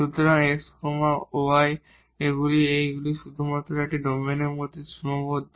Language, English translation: Bengali, So, x y’s are restricted only within this a domain here